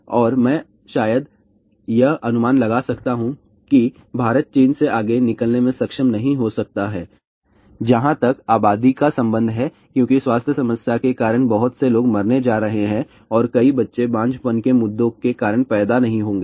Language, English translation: Hindi, And I can probably predict that India may not be able to overtake china as far as the population is concerned because many people are going to die because of the health problem and many children will not be born because of the infertility issues